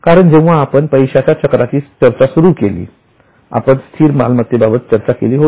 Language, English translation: Marathi, Because when we discussed money cycle, we had started with the first asset which is fixed asset